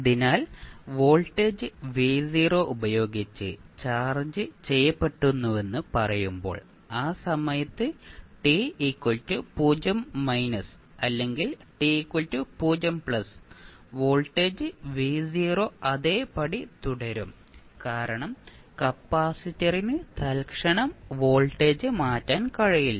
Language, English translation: Malayalam, So, when you will say that it is charged with some voltage v naught we can say that at time t 0 minus or at time t 0 plus voltage will remain same as v naught because capacitor cannot change the voltage instantaneously